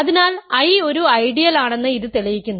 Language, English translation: Malayalam, So, this proves that I is an ideal